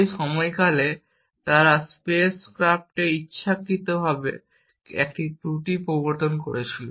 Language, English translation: Bengali, During that period they had also introduced deliberately a fault in the space craft and which was used